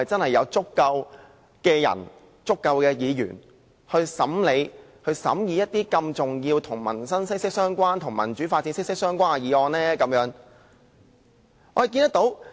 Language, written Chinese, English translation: Cantonese, 是否真的有足夠人手和議員審議一些與民生和民主發展息息相關的重要議案呢？, Are there really adequate manpower and Members to scrutinize significant motions closely related to peoples livelihood and democratic development?